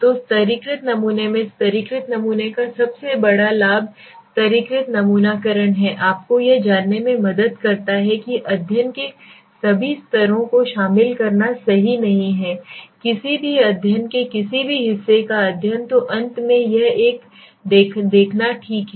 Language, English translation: Hindi, So in stratified sampling the biggest advantage of stratified sampling is the stratified sampling helps you to bringing you know involve all the strata s into the study right you are not omitting any study any part of the study so finally this is a seen okay